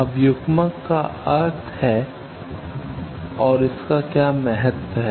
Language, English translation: Hindi, Now what is importance of coupler